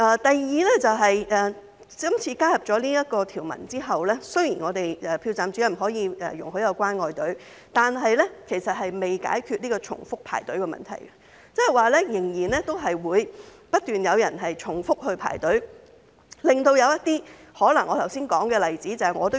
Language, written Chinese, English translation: Cantonese, 第二，今次加入了這項條文後，雖然投票站主任可以容許有"關愛隊"，但其實仍未解決重複排隊的問題，仍然可能會有人不斷重複排隊，導致我剛才所說的例子發生。, Secondly after the addition of this provision although the Presiding Officer can set up a caring queue the problem of repeated queuing has not yet been solved . It is still possible that some people will keep queuing up repeatedly resulting in the occurrence of the example I have just mentioned . A member of the public has complained to me that he is not among the types of people mentioned just now